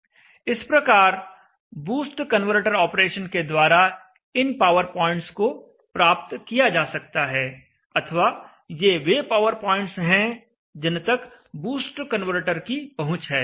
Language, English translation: Hindi, So with a boost converter in the boost converter operation these are the accessible power points and these are the operating points that are reachable by the boost converter